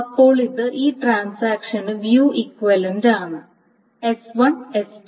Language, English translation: Malayalam, So then this is view equivalent to this transaction S1, S2